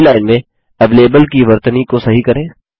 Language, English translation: Hindi, Correct the spelling of avalable in the first line